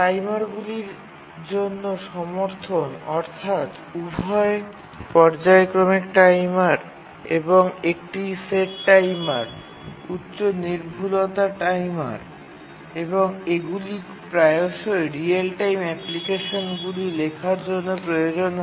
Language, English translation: Bengali, Support for timers, both periodic timers and one set timers, high precision timers, these are frequently required in writing real time applications and need to be supported by the operating system